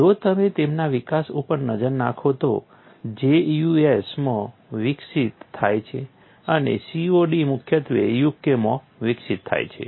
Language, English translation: Gujarati, If you look at that development, J is developed in the US and COD is primarily developed in the UK